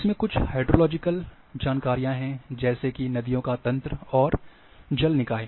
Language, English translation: Hindi, Then it is having said hydrological information's like river network and water bodies